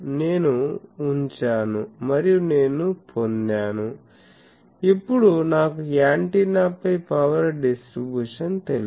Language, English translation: Telugu, So, I put and I get so, now I know the power distribution on the antenna